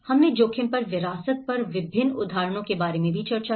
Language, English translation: Hindi, We did also discussed about various examples on heritage at risk